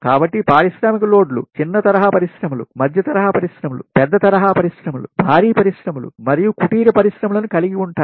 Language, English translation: Telugu, so industrial loads consists of small scale industries, medium scale industries, large scale industries, heavy industries and cottage industries